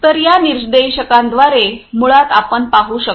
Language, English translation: Marathi, So, through these indicators basically you are able to see